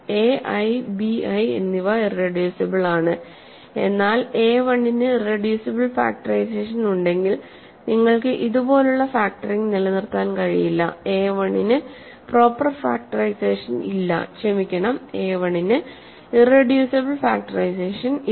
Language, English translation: Malayalam, See a i’s and b i’s may not be irreducible, but if a 1 has an irreducible factorization you cannot keep forever factoring like this, a 1 has no proper factorization sorry a1 has no irreducible factorization